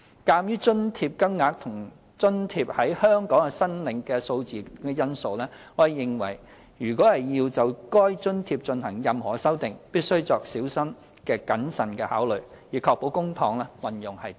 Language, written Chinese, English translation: Cantonese, 鑒於津貼金額及津貼在香港的申請數目等因素，我們認為如要就該津貼進行任何修訂，必須作小心謹慎的考慮，以確保公帑運用得宜。, In view of factors such as the amount of the allowance and its number of applicants in Hong Kong we think that there must be careful consideration if any amendment is to be made to this allowance scheme so as to ensure proper use of public funds